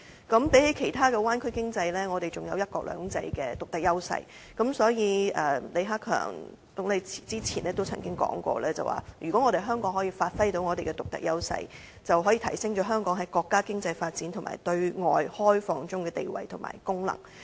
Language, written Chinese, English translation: Cantonese, 相比其他灣區的經濟，我們還有"一國兩制"的獨特優勢，所以，李克強總理早前說過，如果香港可以發揮到獨特優勢，便可以提升香港在國家經濟發展及對外開放的地位及功能。, Compared with the economy of other bay areas we still have the distinct advantage of implementing one country two systems . Hence as mentioned by Premier LI Keqiang earlier if Hong Kong can give full play to its unique strengths it can promote its status and function in the countrys economic development and opening up to the outside world